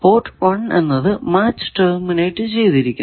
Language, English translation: Malayalam, Then port 1 is match terminated